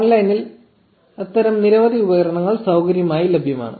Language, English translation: Malayalam, There are many such tools available online for free